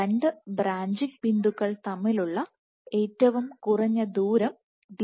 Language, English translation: Malayalam, So, Dbr is the minimum distance between two branching points